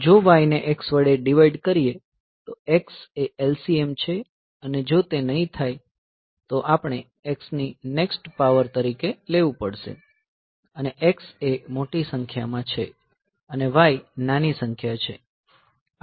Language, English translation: Gujarati, If y divides x then x is the LCM, if not we have to take the next power of x, x is the larger number y is the smaller number